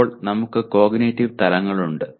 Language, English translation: Malayalam, And then we have cognitive levels